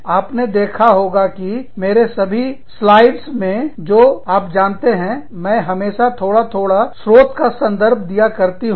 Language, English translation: Hindi, You must have seen, that in all of my slides, i have a little, you know, i always give the reference of the sources, here